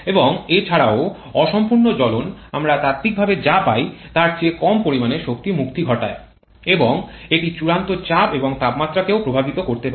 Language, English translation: Bengali, And also the incomplete combustion can lead to release of lesser amount of energy then what we get in theoretically and so can also affect the final pressure and temperature